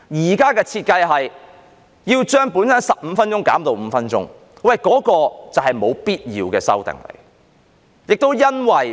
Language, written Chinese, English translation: Cantonese, 現時的設計是把本身的15分鐘減至5分鐘，這便是沒有必要的修訂。, The present design is to reduce the original speaking time of 15 minutes to 5 minutes which is an unnecessary amendment